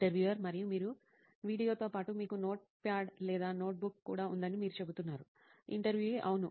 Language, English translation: Telugu, And you are also saying that along with the video you also had a notepad or notebook where you… Yeah